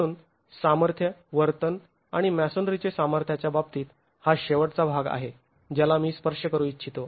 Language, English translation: Marathi, So this is one last part in terms of the strength, behavior and strength of masonry that I wanted to touch upon